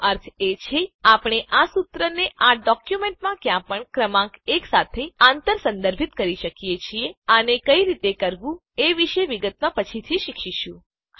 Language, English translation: Gujarati, Meaning, we can cross reference this formula with the number 1 anywhere in this document we will learn the details of how to do this later